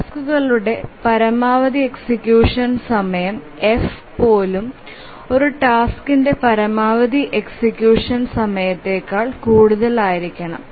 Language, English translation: Malayalam, So the maximum execution time of the tasks even that the F should be greater than even the maximum execution time of a task